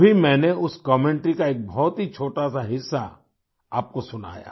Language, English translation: Hindi, I just played for you a very small part of that commentary